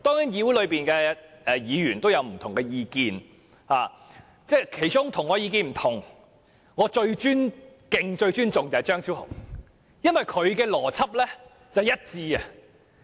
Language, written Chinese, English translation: Cantonese, 議會內的議員當然各有不同的意見，而其中與我意見不同但我卻最尊敬的是張超雄議員，因為他的邏輯相當一致。, There are certainly divergent views among Members of this Council but in spite of our different views I have great respect for Dr Fernando CHEUNG because he is consistent in logic